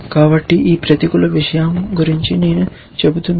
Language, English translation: Telugu, So, this the that negative thing that I was telling about